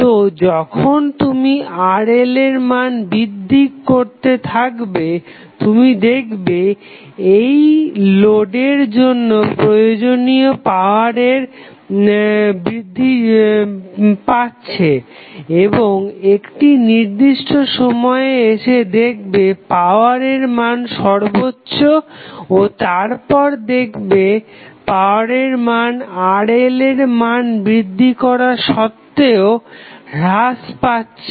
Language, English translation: Bengali, So, when you start increasing the value of Rl, you will see that power which is required for this particular load is increasing and now, at 1 particular instant the power would be maximum and after that the value of power will again start reducing even if the value of Rl is increasing